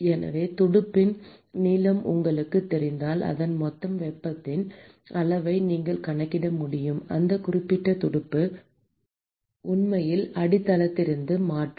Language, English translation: Tamil, So, if you know the length of the fin, then you should be able to calculate what is the total amount of heat that that particular fin can, actually transfer from the base